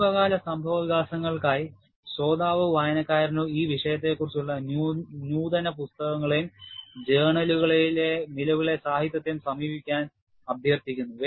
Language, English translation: Malayalam, And obviously, for recent developments, the listener or the reader is requested to consult advanced books on the subject and current literature in journals